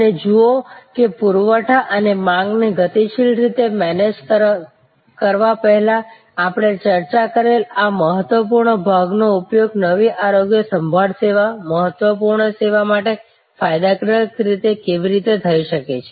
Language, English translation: Gujarati, And see how this critical part that we have discuss before of managing supply and demand dynamically can be used for a new health care service, critical service gainfully